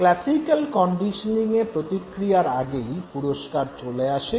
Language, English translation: Bengali, So, in case of classical conditioning, the reward precedes the response